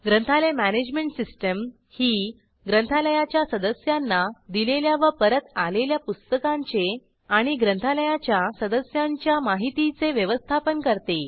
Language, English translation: Marathi, A library management system is a system which manages the issuing and returning of books and manages the users of a library